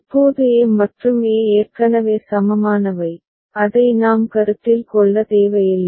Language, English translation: Tamil, Now a and a are already equivalent, we do not need to consider that